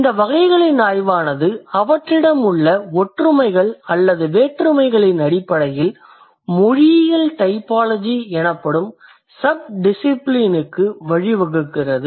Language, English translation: Tamil, And that study of these types on the basis of the similarities that they have or the differences that they have leads to a sub discipline called linguistic typology